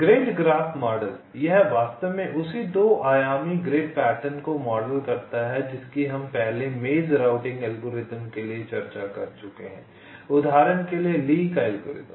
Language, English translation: Hindi, this actually models the same two dimensional grid pattern that we are discussed earlier for bayes routing algorithm, like, for example, lees algorithm